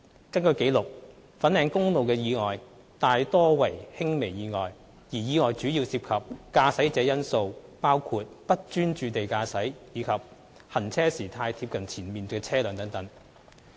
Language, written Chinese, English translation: Cantonese, 根據紀錄，粉嶺公路的意外大多為輕微意外，而意外主要涉及駕駛者因素，包括"不專注地駕駛"及"行車時太貼近前面的車輛"等。, According to records these accidents on Fanling Highway were mostly of minor nature and the contributory factors were largely driver - related including driving inattentively and driving too close to vehicle in front etc